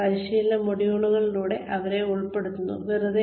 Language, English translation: Malayalam, We put them through training modules, just for the heck of it